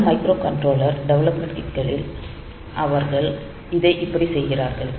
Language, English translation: Tamil, In many of the microcontroller development kits, they do it like this